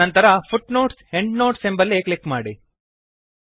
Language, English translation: Kannada, Then click on the Footnote/Endnote option